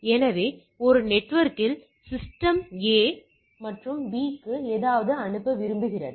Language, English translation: Tamil, So, in a network, the A wants to send to some system B all right